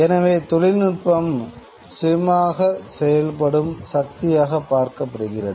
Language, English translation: Tamil, So, it looks upon technology as a self acting force, as if technology can work on its own